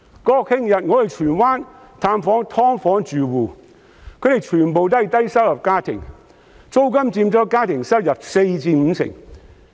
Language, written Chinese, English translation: Cantonese, 國慶日，我到荃灣探訪"劏房"住戶，他們全部都是低收入家庭，租金佔家庭收入四成至五成。, I visited some SDU households in Tsuen Wan on National Day . All of them are low - income families who need to spend 40 % to 50 % of their household income on rent